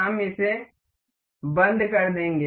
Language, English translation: Hindi, We will close this